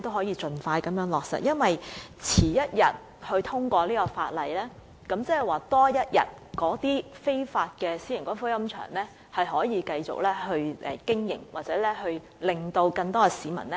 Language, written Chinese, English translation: Cantonese, 因為這項《條例草案》遲一天通過，便代表那些非法私營龕場可以多經營一天，甚或令更多市民受害。, For if the passage of the Bill is delayed for one more day it will allow private columbaria to operate for one more day and it may cause more people to suffer